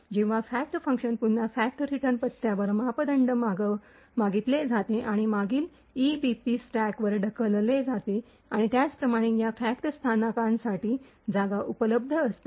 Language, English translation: Marathi, When the fact function gets invoked again parameters to the fact return address and the previous EBP gets pushed onto the stack and similarly there is space present for this fact locals